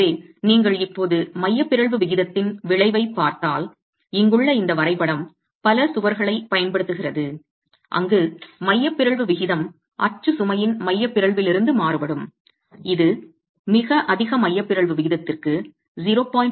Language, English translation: Tamil, So, if you look at the effect of eccentricity ratio now, this graph here is making use of I would say several walls where the eccentricity ratio is varying from no eccentricity of the axial load which is concentric compression to a very high eccentricity ratio of E by T of 0